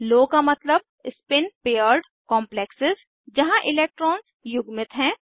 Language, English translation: Hindi, Low means spin paired complexes where electrons are paired up